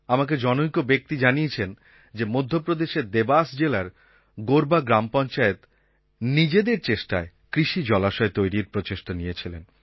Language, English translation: Bengali, I was told that in Devas district of Madhya Pradesh, the Gorva Gram Panchayat took up the drive to create farm ponds